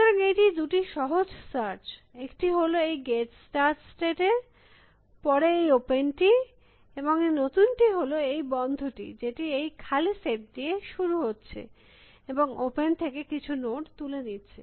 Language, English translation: Bengali, So, this is simple search two, open as before gets the start state closed as is the new this thing, which start with the empty set and pick some node from open